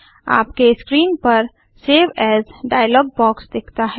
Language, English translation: Hindi, The Save As dialog box appears on your screen